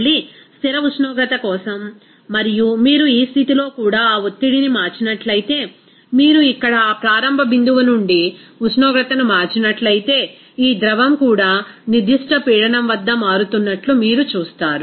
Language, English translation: Telugu, Again for a fixed temperature and if you change that pressure even at this condition, you will see that this liquid also it will be changing at a particular pressure if you change the temperature from that initial point here